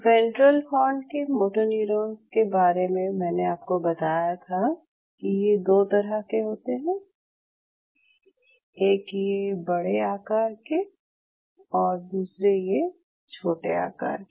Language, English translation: Hindi, In the ventral horn motoneurons where I told you that you have 2 types like you have the larger size you have the smaller size